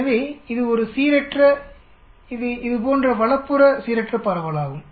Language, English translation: Tamil, So, it is a skewed, it is a right skewed distribution like this